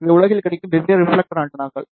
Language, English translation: Tamil, And these are the different reflector antennas, which are available in the world